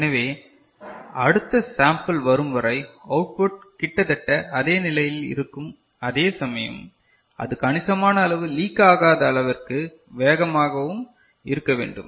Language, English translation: Tamil, So, the output will be more or less remain same till the next sample comes ok, but it need to be adequately fast, so that it does not leak appreciably